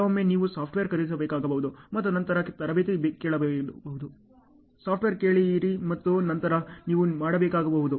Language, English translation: Kannada, Sometimes you may have to buy software and then ask for training, learn the software and then you may have to do ok